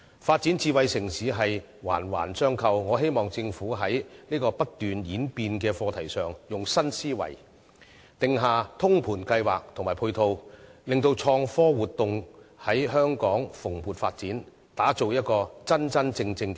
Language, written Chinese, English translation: Cantonese, 發展智慧城市是環環相扣的，在這個不斷演變的課題上，我希望政府運用新思維定下通盤計劃及配套，令到創科活動在香港蓬勃發展，打造香港成為一個真正的 smart city。, Smart city development is not an isolated issue . Regarding this evolving subject I hope the Government can formulate a holistic plan and complementary measures with a new mindset to enable innovation and technology activities to thrive in the territory and develop Hong Kong into a truly smart city